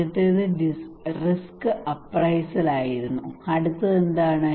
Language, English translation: Malayalam, First one was the risk appraisal, what is the next one